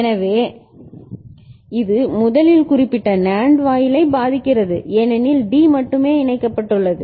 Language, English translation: Tamil, So, it first affects this particular NAND gate because D is connected only to that right